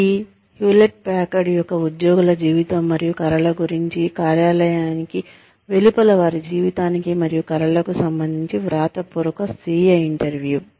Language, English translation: Telugu, It is a written self interview, regarding the life and dreams of, the employees of Hewlett Packard, regarding their life and dreams, outside of the workplace